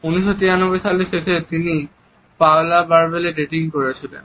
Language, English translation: Bengali, At the end of the year of 1993 he was dating Paula Barbieri